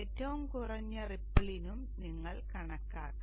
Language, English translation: Malayalam, You should also calculate for the ripple that is minimum